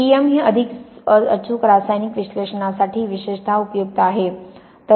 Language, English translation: Marathi, What T E M is particularly useful for is getting much more precise chemical analysis